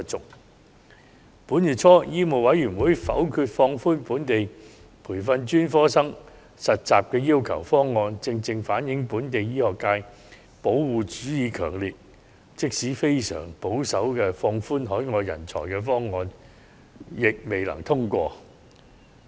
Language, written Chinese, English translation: Cantonese, 在本月初，香港醫務委員會否決放寬本地培訓專科醫生實習要求的方案，正正反映出本地醫學界保護主義強烈，即使非常保守的放寬海外人才方案，也未能通過。, Early this month the Medical Council of Hong Kong MCHK voted down the proposal to relax internship requirements for the training of local specialists . It reflects precisely the strong protectionism in the local medical community which negatived even the extremely conservative proposal to relax the admission of overseas talents